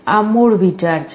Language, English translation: Gujarati, This is the basic idea